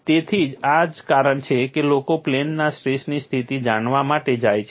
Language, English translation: Gujarati, So, this is the reason why people go in for maintaining plane strain condition